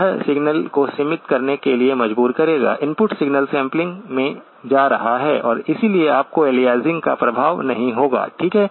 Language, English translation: Hindi, It will force the signal to be band limited, input signal going into the sampler and therefore, you will not have the effect of aliasing, okay